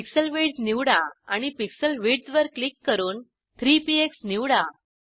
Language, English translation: Marathi, Select Pixel width and click on the pixel width 3 px